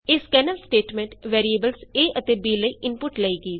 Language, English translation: Punjabi, This scanf statement takes input for the variables a and b